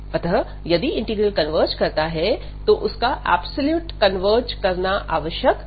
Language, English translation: Hindi, So, if the integral converges, the integral may not converge absolutely